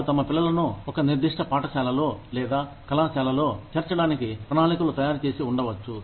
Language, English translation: Telugu, They may have made plans, to put their children, in a particular school or college